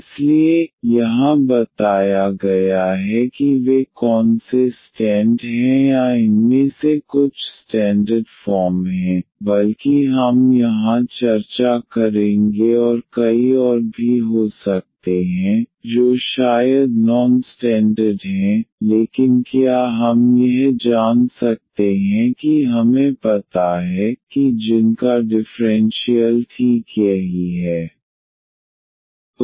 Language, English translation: Hindi, So, here what is what are those stand or some of these standard forms rather we will discuss here and there could be many more which are maybe non standard, but can help if we know them that whose differential is exactly this term